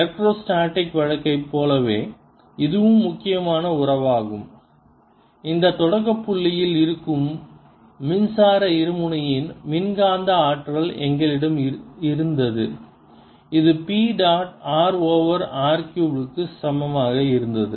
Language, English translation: Tamil, and this is as important relationship as we had for electrostatic case, where we had the electrostatic potential of a electric dipole sitting at this origin was equal to p dot r over r cubed